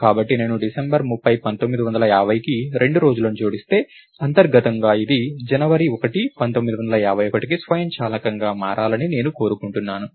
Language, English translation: Telugu, So, if I add 2 days to 30th December, 1950, internally I want this to automatically move to January 1st 1951